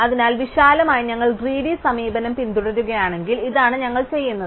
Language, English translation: Malayalam, So, broadly if we follow a greedy approach, this is what we would do